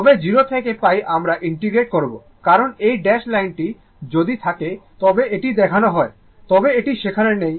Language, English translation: Bengali, But you will integrate from 0 to pi because, this dash line is shown that if it is there, but it is not there it is not there